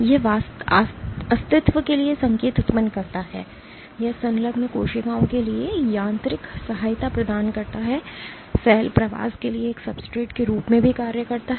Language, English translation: Hindi, It generates signals for survival, it provides mechanical support for the attach cells, also serves as a substrate for cell migration